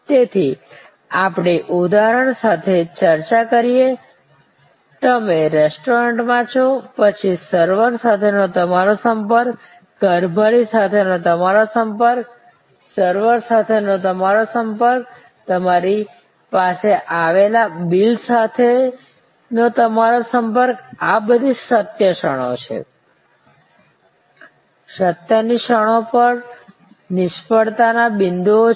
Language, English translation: Gujarati, So, we discuss with example that for example, you are in a restaurant then your touch point with server, your touch point with the steward, your touch with the server, your touch point with the bill that comes to you, these are all moments of truth, the moments of truth are also points of failure